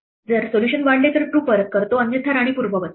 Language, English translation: Marathi, If the solution does extend we return true otherwise we undo the queen